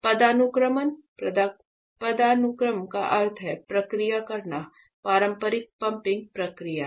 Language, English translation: Hindi, This is the hierarchy; hierarchy means to process this is the initial pumping process